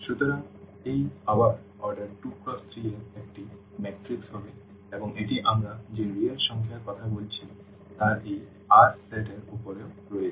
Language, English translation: Bengali, So, this will be again a matrix of order 2 by 3 and this is also over this R set of real numbers we are talking about